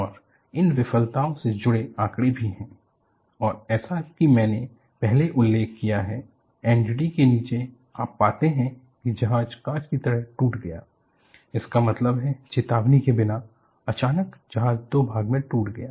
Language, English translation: Hindi, And as I have mentioned it earlier, below the NDT, you find the ship broke like glass; that means, without warning, suddenly the ship breaks into two